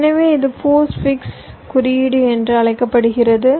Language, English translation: Tamil, this is actually called postfix notation